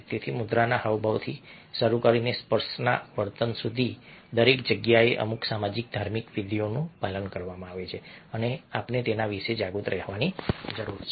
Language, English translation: Gujarati, so, starting from posture gesture to touching behavior here, every where certain social rituals are followed and we need to be aware of them